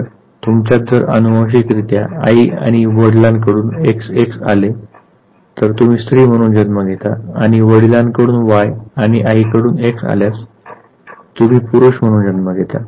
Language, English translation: Marathi, So, if you inherit xx from the two parents the father and the mother, then you become female and if you inherit y from the father and x from the mother then you become a male